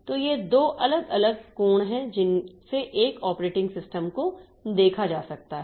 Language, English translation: Hindi, So, these are the two different angles from which an operating system can be looked into